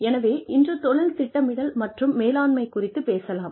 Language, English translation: Tamil, So, today, we are going to discuss, Career Planning and Management